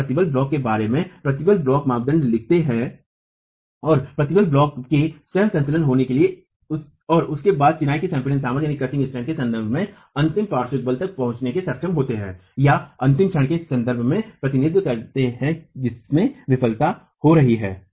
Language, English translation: Hindi, We use equivalent stress block parameters, write down the equilibrium in the stress block and then use that with respect to the crushing strength of masonry to be able to arrive at the ultimate lateral force or represent in terms of the ultimate moment at which failure is occurring